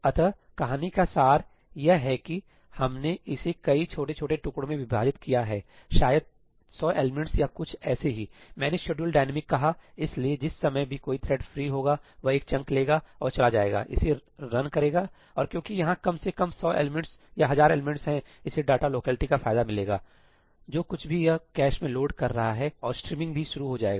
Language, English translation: Hindi, the crux of the story is that we divided it up into lots of small small pieces, maybe 100 elements or something each; I say schedule dynamic so, as and when a thread becomes free, it picks up one chunk and goes, runs it and because there is at least a 100 elements or let us say 1000 elements, it benefits out of the data locality, whatever it is loading in the cache and also the streaming comes into play, right